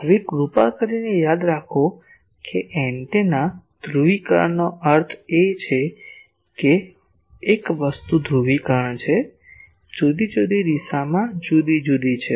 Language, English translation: Gujarati, Now, please remember that polarisation of an antenna means that one thing is polarisation is different in different directions